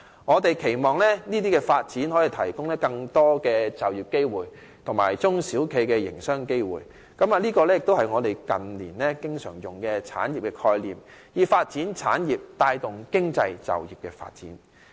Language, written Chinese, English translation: Cantonese, 我們期望這些發展可以提供更多就業機會及中小企業的營商機會，這亦是我們近年經常引用的"產業"概念，以發展產業帶動經濟及就業的發展。, We expect the development of these services to provide more job opportunities and business opportunities for small and medium enterprises . This is also the industrial concept cited by us frequently in recent years for the development of industry - driven economy and employment